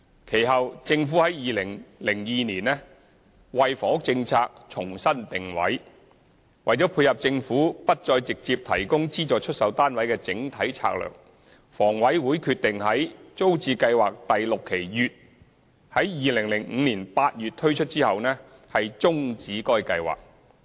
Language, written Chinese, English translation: Cantonese, 其後，政府於2002年為房屋政策重新定位，為配合政府不再直接提供資助出售單位的整體策略，房委會決定在"租置計劃第六期乙"於2005年8月推出後，終止該計劃。, The Government subsequently re - positioned the housing policies in 2002 . In keeping with the overall strategy of withdrawing from direct provision of subsidized sale flats HA decided to cease the scheme after launching Phase 6B of TPS in August 2005